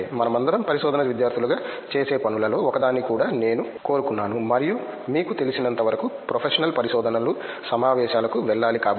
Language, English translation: Telugu, Okay so, maybe I also wanted to one of the things that we all do as research students and even as you know professional researches is to go for conferences